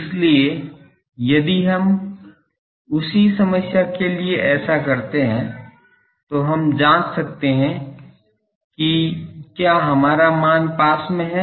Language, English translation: Hindi, So, if we do that for the same problem, then we can check whether our that value is near